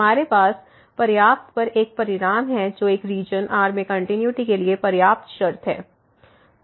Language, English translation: Hindi, We have one result on the sufficient which is the sufficient condition for continuity in a region